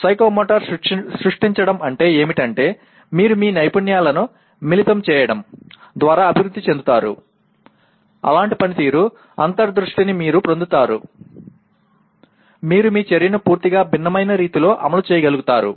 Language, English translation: Telugu, Then what happens psychomotor creating means you yourself develop by combining different skills you get such a performance insight that you are able to execute your action in completely different way